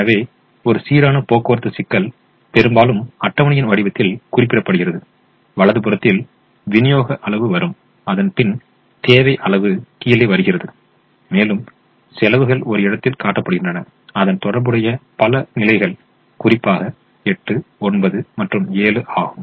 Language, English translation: Tamil, so a balanced transportation problem is often represented in the form of a table that we have shown here, with the supply quantity is coming on the right hand side, the demand quantity is coming on the bottom and the costs are shown in the corners of the corresponding positions: eight, nine, seven and so on